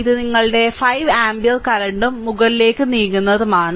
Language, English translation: Malayalam, And this is your 5 ampere current moving upwards